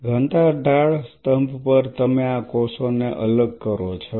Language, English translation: Gujarati, On a density gradient column, you separate out these cells